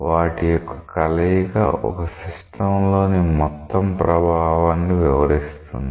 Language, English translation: Telugu, A combination of which describe the total effect in the system